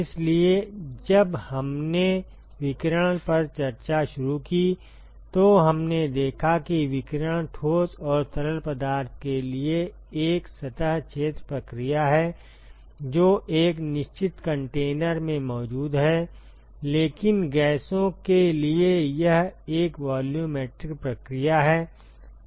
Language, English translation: Hindi, So, when we start initiated discussion on radiation, so we observed that the radiation is a surface area process for solids and liquids, which is present in a certain container, but for gases it is a volumetric process